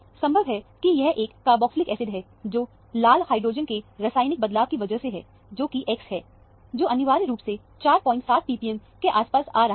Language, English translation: Hindi, Most likely, it is a carboxylic acid, because of the chemical shift of the hydrogen red, which is X, which is the… Hydrogen red is essentially coming around 4